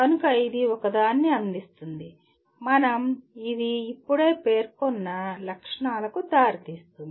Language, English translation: Telugu, So it will provide a, it will lead to the features that we just mentioned